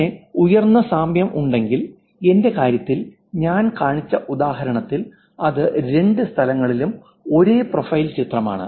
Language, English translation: Malayalam, And then high similarity, if there is a, in my case, in the example that I showed you, it's exact the same picture, profile picture on both the places